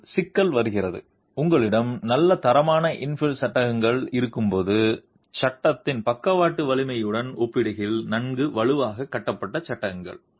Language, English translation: Tamil, But the problem comes when you have good quality infill panels, panels which are constructed well strong in comparison to the lateral strength of the frame itself